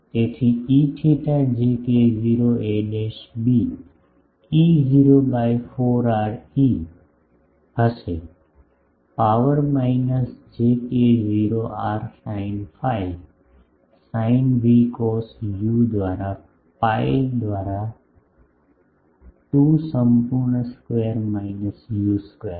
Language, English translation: Gujarati, So, E theta will be j k 0 a dash b E 0 by 4 r e to the power minus j k 0 r sin phi sine v cos u by pi by 2 whole square minus u square